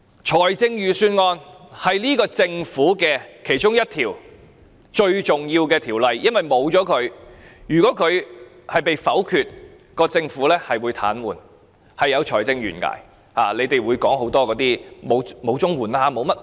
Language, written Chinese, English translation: Cantonese, 撥款條例草案是政府其中一項非常重要的條例，因為如果被否決，政府便會癱瘓，有財政懸崖，你們會說沒有錢給予綜援等。, The Appropriation Bill is one of the very significant bills of the Government because if it is vetoed the Government will be paralysed leading to a fiscal cliff . You will then say that there is no money to pay the CSSA recipients